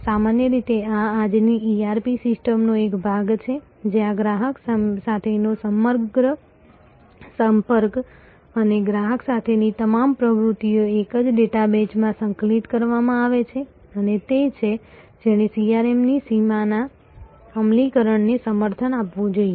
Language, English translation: Gujarati, Usually this is part of today's ERP system, where the entire a every contact with the customer all activities with the customer are all the integrated into the same database and that is the one which must support this across boundary execution of CRM